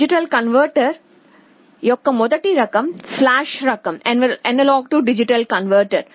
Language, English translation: Telugu, The first type of AD converter is the flash type A/D converter